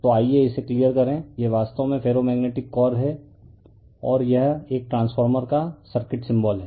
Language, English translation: Hindi, So, let me clear it so, this is actually ferromagnetic core and this is your the your circuit symbol of a transformer